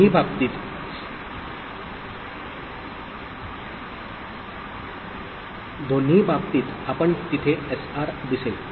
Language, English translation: Marathi, In both the cases, we will see SR is there, ok